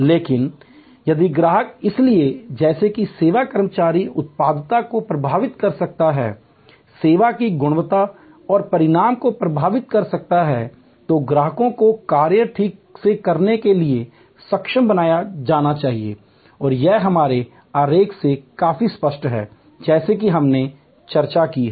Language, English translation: Hindi, But, if the customers therefore, as service employees can influence the productivity, can influence the service quality and outcome, then customers must be made competent to do the function properly and that is quite clear from our this diagram as we have discussing